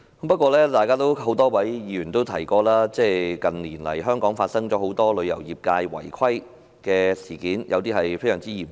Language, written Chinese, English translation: Cantonese, 不過，多位議員也提到，香港近年發生旅遊業界的多宗違規事件，有些甚至非常嚴重。, Nevertheless many Members have also mentioned a number of non - compliance incidents of the travel trade that happened in Hong Kong in recent years some of which were very serious indeed